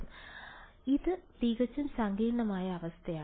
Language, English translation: Malayalam, So, it is fully complicated situation